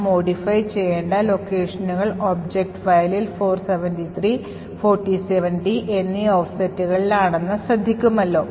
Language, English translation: Malayalam, So, notice that the locations which we need to modify is at an offset 473 and 47d in the object file